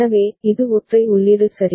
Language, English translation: Tamil, So, this is a single input ok